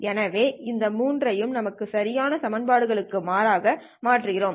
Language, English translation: Tamil, So substituting these three into the equations that we have, right